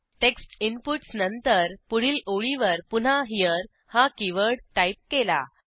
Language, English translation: Marathi, After the text inputs, on the next line, we type the keyword HERE again